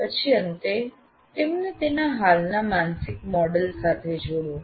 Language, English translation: Gujarati, And then finally relate them to their existing mental mode